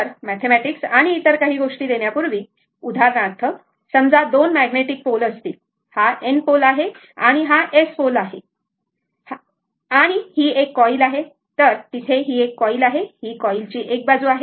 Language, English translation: Marathi, So, before giving mathematics and other thing, just for example suppose, you have two magnetic pole, this is your N pole and this is your S pole, right, s pole and one coil is there one coil there this is the one side of the coil